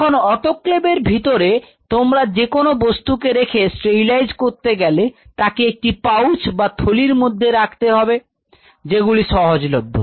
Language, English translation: Bengali, So, whenever you are keeping anything for a sterilization or autoclaving you put them in an autoclave pouches, their pouches which are available